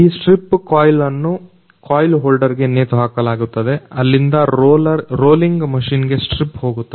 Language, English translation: Kannada, This strip coil is hanged with coil holder from where strip goes to rolling machine